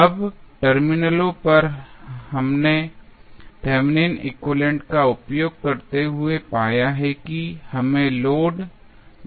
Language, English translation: Hindi, Now, what next we have to do the terminals across which we have just found the Thevenin equivalent we have to add the load